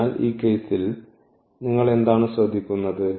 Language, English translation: Malayalam, So, what do you observe in this case